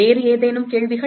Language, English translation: Tamil, Any other questions